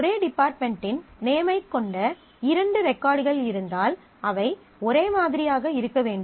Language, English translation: Tamil, If two records are there which have the same department name, they must be identical